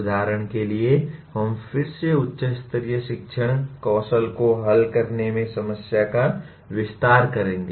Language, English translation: Hindi, For example what we call we will again elaborate problem solving higher order learning skills